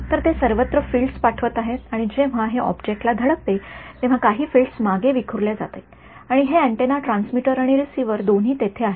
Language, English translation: Marathi, So, they are sending fields everywhere, and what happens is when it hits this object right some of the fields will get scattered back, and this antenna both transmitter and receiver both are there